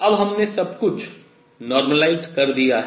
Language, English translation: Hindi, Now we have normalized the whole thing, alright